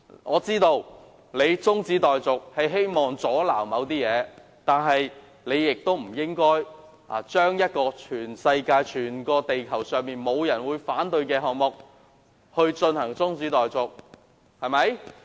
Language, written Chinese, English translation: Cantonese, 我知道他提出中止待續議案是想阻撓某些事，但他不應該對全世界、全地球上沒有人會反對的項目提出中止待續議案。, I understand that he is trying to obstruct certain matters by moving this adjournment motion . Nevertheless he should not have proposed that an item to which nobody in the whole world would object be adjourned